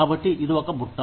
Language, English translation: Telugu, So, it is a basket